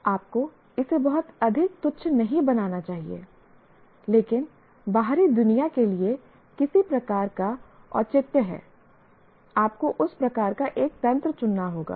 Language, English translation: Hindi, You should not make it too trivial, not too elaborate, but some kind of a justifiable to outside world, you have to choose a mechanism of that type